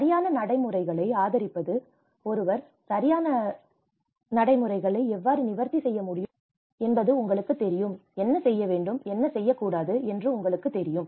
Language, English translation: Tamil, And advocacy of right practices, you know how one can actually address the right practices, you know what to do and what not to do